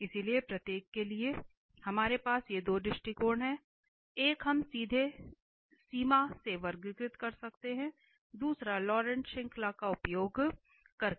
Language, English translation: Hindi, So, for each we have these two approaches, one we can classify directly by limit, another one using the Laurent series